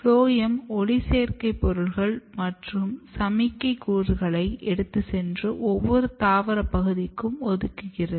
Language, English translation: Tamil, And phloem basically takes photosynthetic material and lot of signaling molecules and it distributes or allocate to other part of the plants